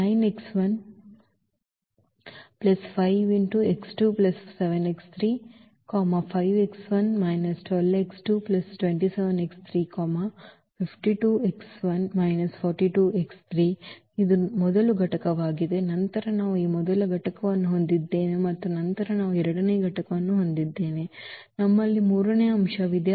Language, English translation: Kannada, This is the first component then we have we have a this first component and then we have the second component, we have the third component